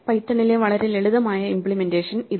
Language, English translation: Malayalam, Here is a very simple implementation in python